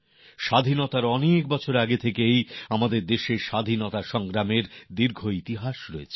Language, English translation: Bengali, Prior to Independence, our country's war of independence has had a long history